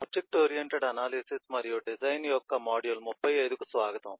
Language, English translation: Telugu, welcome to module 35 of object oriented analysis and design